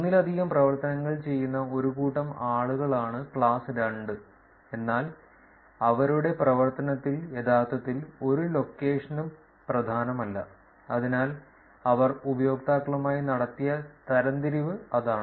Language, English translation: Malayalam, Class 2 is a set of people where multiple activities are done, but no single location is actually predominant in their activity, so that is the kind of classification that they made with the users